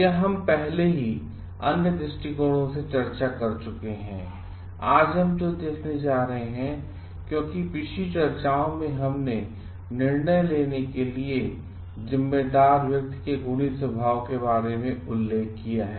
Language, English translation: Hindi, This we have already discussed from the other perspectives; today what we are going to see, because in the last discussions we have mentioned about the virtuous nature of the person responsible for taking this decisions